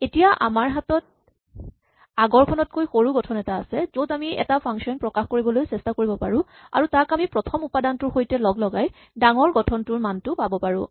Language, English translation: Assamese, This gives us our induction we have a smaller structure on which we can try to express a function and then we can combine it with the first element to get the value for the larger thing